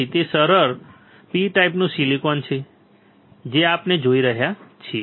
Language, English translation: Gujarati, So, that it is easy P type silicon what we are looking at